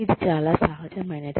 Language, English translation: Telugu, It is very natural